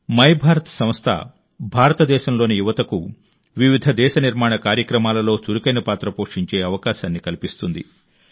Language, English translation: Telugu, My Bharat Organization will provide an opportunity to the youth of India to play an active role in various nation building events